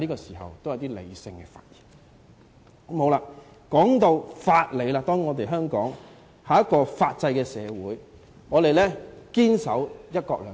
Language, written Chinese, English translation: Cantonese, 說到法理，當然，香港是法制社會，我們堅守"一國兩制"。, When it comes to the principles of laws Hong Kong is certainly a society with a system of laws . We uphold the principle of one country two systems